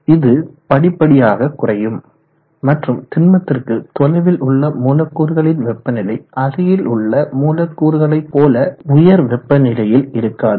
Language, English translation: Tamil, And it progressively decreases and the temperature of the molecules quite far away from the solid will not have that high temperature as the ones close to it